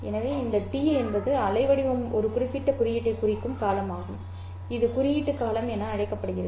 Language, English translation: Tamil, So this T which is the duration over which the waveform is representing a particular symbol is called as the symbol duration